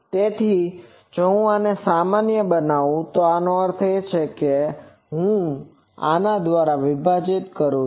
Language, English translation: Gujarati, So, if I normalize this; that means, I divide by these